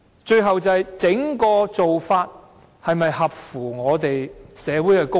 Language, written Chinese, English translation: Cantonese, 最後一點是整體做法是否合乎社會公益？, Lastly does this approach as a whole serve the public interest of society?